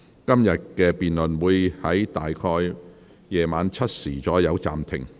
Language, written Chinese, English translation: Cantonese, 今天的辯論會在晚上7時左右暫停。, Todays debate will be suspended at about 7col00 pm